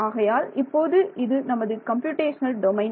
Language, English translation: Tamil, So, supposing this is your computational domain right